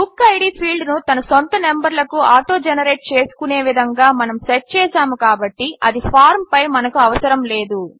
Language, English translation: Telugu, Since we have set up BookId field to autogenerate its own numbers, we dont need it on the form So let us move this field back to the left hand side